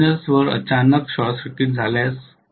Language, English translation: Marathi, If suddenly a short circuit occurs at the terminals